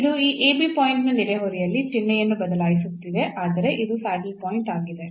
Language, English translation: Kannada, So, it is changing sign in the neighborhood of this ab point and; that means, this is a saddle point